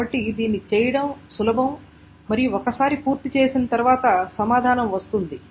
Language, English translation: Telugu, So that is easy to do and once that is being done the answer comes out to be